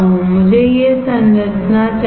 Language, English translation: Hindi, I want this structure